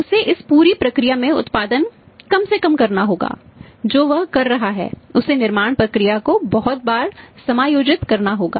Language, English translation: Hindi, He has to minimise the production in this entire process what he is doing he has to adjust is manufacturing process very, very frequently